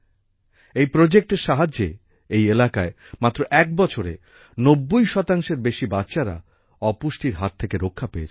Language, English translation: Bengali, With the help of this project, in this region, in one year, malnutrition has been eradicated in more than 90 percent children